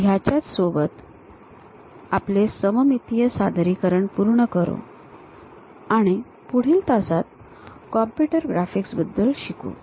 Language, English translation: Marathi, So, with that we will conclude our isometric projections and in the next class onwards we will learn about computer graphics